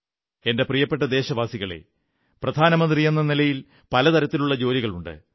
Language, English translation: Malayalam, My dear countrymen, as Prime Minister, there are numerous tasks to be handled